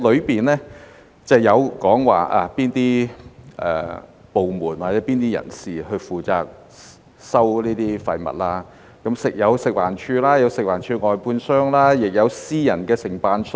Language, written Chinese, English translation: Cantonese, 當中提及哪些部門或哪些人士負責收集這些廢物，包括食環署、食環署外判商，也有私人承辦商。, It mentioned the departments or people being tasked with waste collection including the Food and Environmental Hygiene Department FEHD its contractors and also private contractors